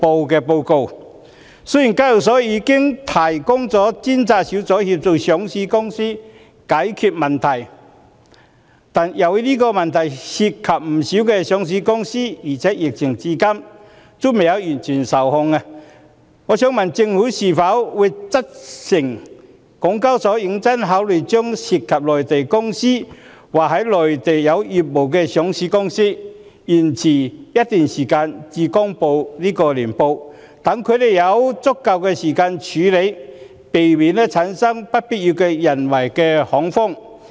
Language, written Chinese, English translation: Cantonese, 雖然香港交易所有專責小組協助上市公司解決問題，但由於這問題涉及不少上市公司，而且疫情至今仍未完全受控，我想問政府會否責成港交所認真考慮，讓涉及內地公司或在內地有業務的上市公司延遲一段時間公布年報，讓有關公司有足夠時間處理，避免產生不必要的人為恐慌？, Although the Hong Kong Exchanges and Clearing Limited HKEx has a dedicated team to assist listed companies in solving problems a number of listed companies have encountered the above mentioned problem . As the epidemic is not yet under full control may I ask whether the Government will instruct HKEx to seriously consider allowing listed companies involving Mainland enterprises or having business on the Mainland to postpone the date for publishing their annual reports so that these companies can have sufficient time to deal with the problem and avoid creating unnecessary man - made panic?